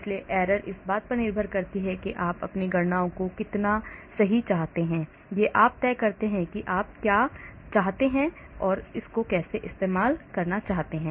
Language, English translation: Hindi, so the errors, depending upon how accurate you want your calculations to be you can decide and what you want to